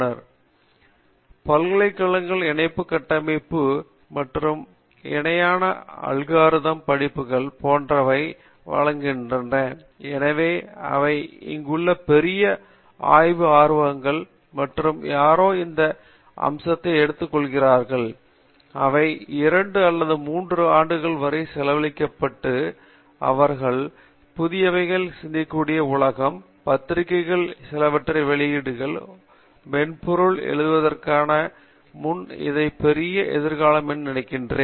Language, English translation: Tamil, The very few ( universities even offers such type of parallel architecture and parallel algorithm courses right and so these are something that great research interest here and if somebody aspects to do that, if they take anyone this area and spends 2 to 3 years and demonstrate to the world that they can think new, publish couple of papers write some sort of software I think a they have a great future in front of this